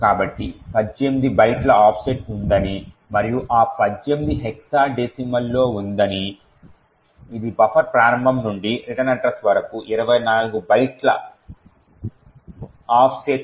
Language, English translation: Telugu, So, we see that there is an offset of 18 bytes and this 18 is in hexadecimal which corresponds to 24 bytes offset from the start of the buffer to the return address